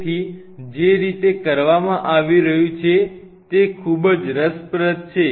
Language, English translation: Gujarati, So, the way it is being done is very interesting